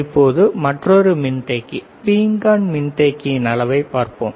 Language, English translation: Tamil, Now, let us see another capacitor, ceramic capacitor